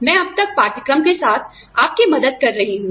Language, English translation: Hindi, I have been helping you, with the course, till now